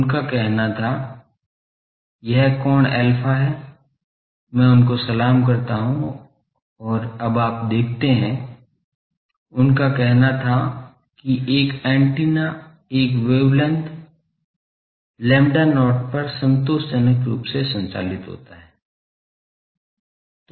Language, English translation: Hindi, Suppose his point was that this angle is alpha, I have two salutes and now there you see, his point was suppose an antenna is operates satisfactorily at a wavelength lambda not